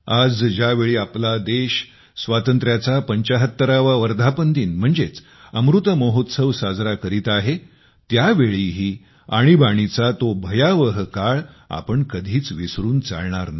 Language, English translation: Marathi, Today, when the country is celebrating 75 years of its independence, celebrating Amrit Mahotsav, we should never forget that dreadful period of emergency